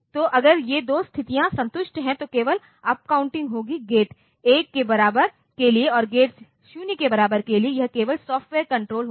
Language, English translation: Hindi, So, if these two conditions are satisfied, then only the upcounting will take place for gate equal to 1 and for gate equal to 0 it will be only the software control